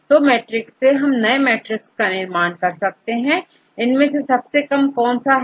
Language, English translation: Hindi, So, now, I get this matrix; from this matrix which one is the lowest number